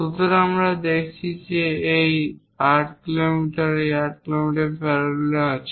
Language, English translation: Bengali, When we are looking at this 8 mm and this 8 mm are in parallel with this parallel with that